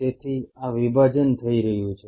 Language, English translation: Gujarati, So, this is the division happening